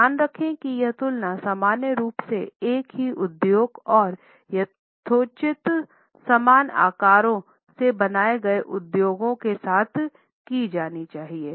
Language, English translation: Hindi, Keep in mind that this comparison should normally be made with the same industry and with reasonably similar sizes